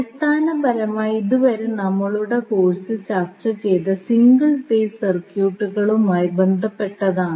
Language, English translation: Malayalam, So, till now what we have discussed in our course was basically related to single phase circuits